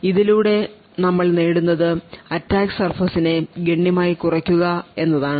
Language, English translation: Malayalam, So, what we achieve by this is that we are drastically reducing the attack surface